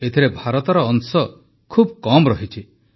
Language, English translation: Odia, Today India's share is miniscule